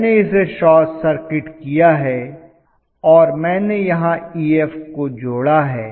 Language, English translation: Hindi, So I have short circuited this and I have connected Ef here